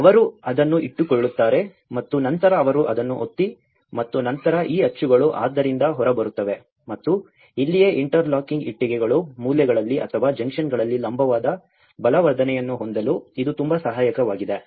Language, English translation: Kannada, So, they keep that and then they press it and then these moulds will come out of it and this is where the interlocking bricks because these are very helpful for having a vertical reinforcement at the corners or the junctions